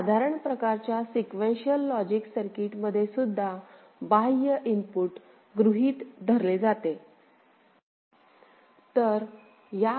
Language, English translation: Marathi, A general type of Sequential Logic Circuit Design will also consider an external input ok